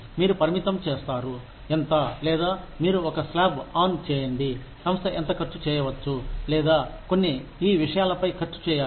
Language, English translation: Telugu, You limit, how much, or you put a slab on, how much the organization can spend, or should spend, on certain things